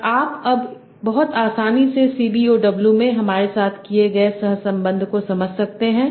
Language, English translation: Hindi, And you can now very easily correlate with what we did in CBOW